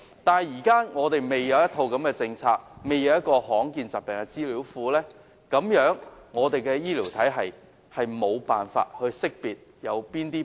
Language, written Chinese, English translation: Cantonese, 不過，香港現時尚未制訂這樣的一套政策，亦未建立罕見疾病資料庫，所以我們的醫療體系無法辨識誰患病。, But Hong Kong has hitherto not yet formulated such a policy or set up a database on rare diseases . For this reason our medical system is unable to identify those patients of rare diseases